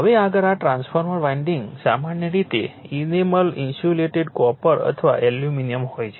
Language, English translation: Gujarati, Now, next this transformer winding usually of enamel insulated copper or aluminium